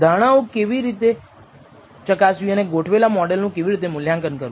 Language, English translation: Gujarati, How to validate assumptions and how to evaluate the tted model